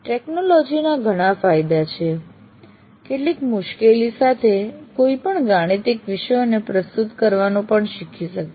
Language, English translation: Gujarati, So while the technology has several advantages, with some difficulty one can adopt to even presenting mathematical subjects as well